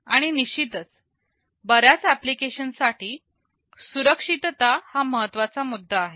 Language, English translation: Marathi, And of course, safety is an important issue for many applications